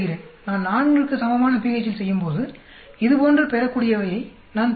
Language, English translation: Tamil, I am doing at pH is equal to 4, I get the product yield like this